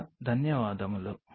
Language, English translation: Telugu, thanks a lot